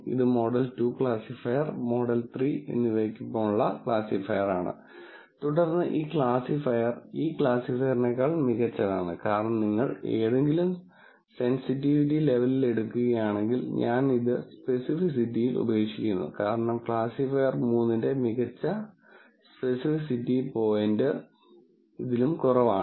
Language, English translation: Malayalam, This is classifier with model 2 classifier, model 3, then this classifier is better than this Classifier is better than this classifier, because if you take at any sensitivity level, if I go across the amount I give up in specificity, because this is the best specificity point for classifier 3 is less than this, is less than this